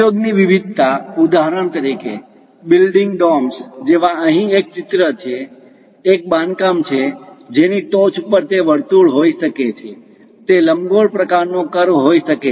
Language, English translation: Gujarati, The variety of applications, for example, like building domes; here there is a picture, a construction, top of that it might be circle, it might be elliptical kind of curve